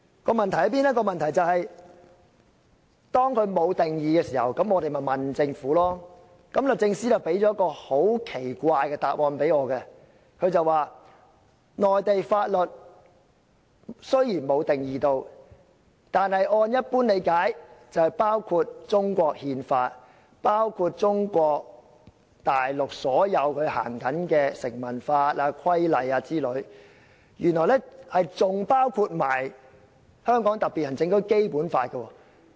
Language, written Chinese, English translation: Cantonese, "《條例草案》沒有就此定義，那我們便向政府查詢，而律政司向我提供了一個很奇怪的答案：雖然《條例草案》並無就"內地法律"作出定義，但按一般理解，"內地法律"包括中國憲法，以及所有在中國行使的成文法、規例等，而且原來更包括香港特別行政區《基本法》。, Since the Bill includes no interpretation of laws of the Mainland we made enquiries with the Government and what we got was a very strange answer from the Department of Justice . It said to this effect though the expression is not defined in the Bill according to usual understanding laws of the Mainland includes the Constitution of the Peoples Republic of China the statute law and regulations in force in China and even the Basic Law of the HKSAR